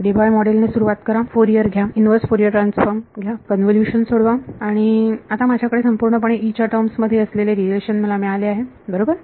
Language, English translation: Marathi, Start by Debye model, take Fourier take the inverse Fourier transform, simplify the convolution and now I have got a relation purely in terms of E right